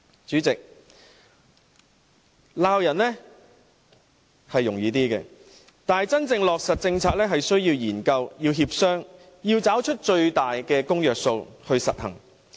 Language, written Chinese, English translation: Cantonese, 主席，罵人比較容易，但真正落實政策是需要研究和協商，要找出最大的公約數來實行。, President while it is easy to level reprimands studies and negotiations are necessary for the genuine implementation of policies . And a greatest possible agreement must be sought for policy implementation purpose